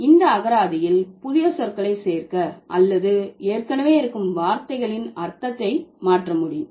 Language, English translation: Tamil, It's a process by which new words can be added to the lexicon or the meaning of already existing words can be changed